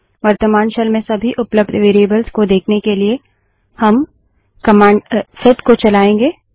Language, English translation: Hindi, To see all the variables available in the current shell , we run the command set